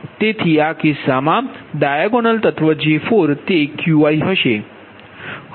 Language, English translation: Gujarati, ah, that, diagonal elements of j four, that is qi